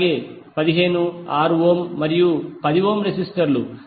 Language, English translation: Telugu, So 15, 6 ohm and 10 ohm are the resistors